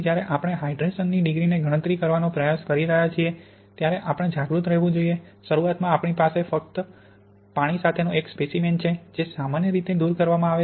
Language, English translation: Gujarati, So when we are trying to calculate something like degree of hydration, we have to be aware that at the beginning we have a sample with free water which is usually removed